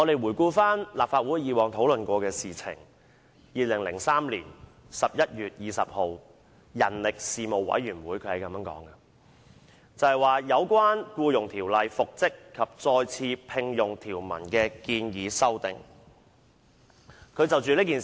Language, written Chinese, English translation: Cantonese, 回顧立法會以往的討論 ，2003 年11月20日人力事務委員會就"有關《僱傭條例》復職及再次聘用條文的建議修訂"展開討論。, Looking back at the previous discussions in the Legislative Council the Panel on Manpower commenced discussions on the Proposed amendments to reinstatement and re - engagement provisions under the Employment Ordinance on 20 November 2003